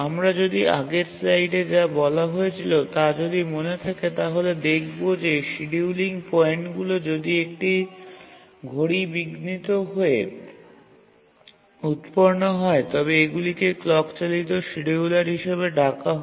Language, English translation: Bengali, So, if you remember what we said in the earlier slide is that if the scheduling points are generated by a clock interrupt, these are called as clock driven scheduler